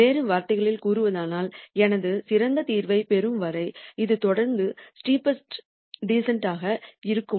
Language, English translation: Tamil, In other words is this going to continue to be the steepest descent till I get to my best solution